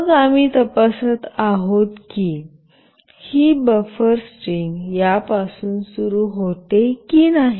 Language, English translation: Marathi, And then we are checking if this buffer string starts with this or not